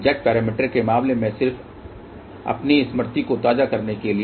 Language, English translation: Hindi, In case of Z parameters just to refresh your memory